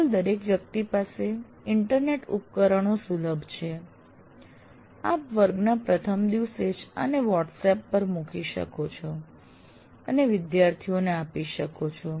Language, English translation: Gujarati, These days as everybody is accessible on internet devices, you can put this up and share with the students in WhatsApp right on the first day of the class